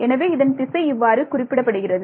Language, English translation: Tamil, So, the direction of this, is this way